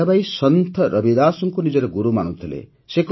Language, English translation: Odia, Mirabai considered Saint Ravidas as her guru